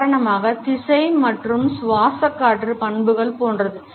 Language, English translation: Tamil, For example, like the direction and characteristics of respiratory air